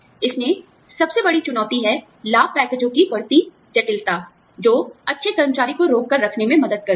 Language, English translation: Hindi, The biggest challenge in this is, increasing complexity of benefits packages, always helps to retain, very good employees